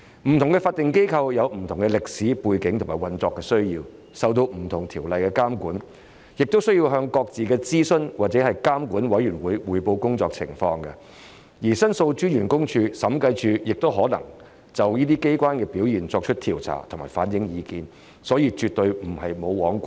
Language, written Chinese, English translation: Cantonese, 不同法定機構有不同的歷史背景和運作需要，受不同條例監管，亦須向各自的諮詢或監管委員會匯報工作情況，而申訴專員公署和審計署亦可就這些機構的表現作出調查及反映意見，所以絕對並非"無皇管"。, Having different historical backgrounds and operational needs different statutory bodies are monitored by different ordinances . They also have to report their work to their respective advisory or regulatory committees while the Office of The Ombudsman and the Audit Commission may conduct investigations and relay their views on the performance of these organizations . Therefore it is absolutely not true that they are totally footloose and fancy - free